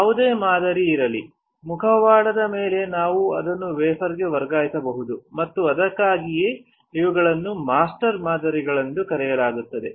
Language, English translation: Kannada, Whatever pattern is there on the mask we can transfer it onto the wafer and which is why these are called master patterns